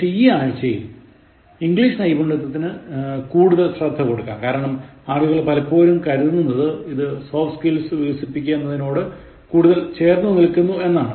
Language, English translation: Malayalam, But then, this week, I said that let us focus more on English Skills because, people sometimes think that this is very close to Developing Soft Skills